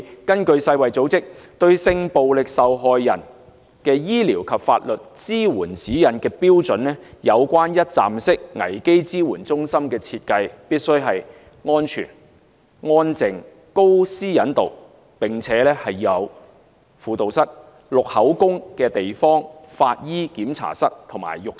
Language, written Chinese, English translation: Cantonese, 根據世界衞生組織《對性暴力受害人之醫療及法律支援指引》，有關一站式服務危機支援中心的設計，必須是安全、安靜、高私隱度，並且要設有輔導室、錄取口供的地方、法醫檢查室和浴室。, According to the Guidelines for medico - legal care for victims of sexual violence issued by the World Health Organization a crisis support centre with 24 - hour one - stop services should be designed as a discrete suite with high privacy protection which is equipped with a room for counselling services giving statements forensic examination a shower and a toilet